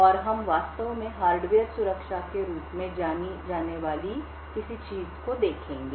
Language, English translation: Hindi, And we will actually look at something known as Hardware Security